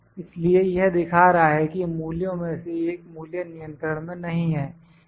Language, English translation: Hindi, So, it is as showing that one of the value is not in control